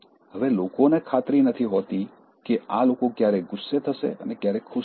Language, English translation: Gujarati, Now, people are not sure when these people will get angry and when they will be pleased